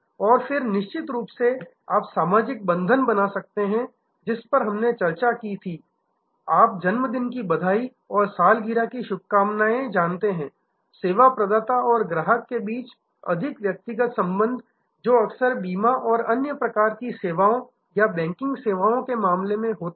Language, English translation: Hindi, And then of course, you can create social bonds which we discussed you know birth day greetings and anniversary greetings, the more personal relationship between the service provider and the customer that often happens in case of insurance and other types of services or banking services